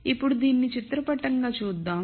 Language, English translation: Telugu, Now let us look at this pictorially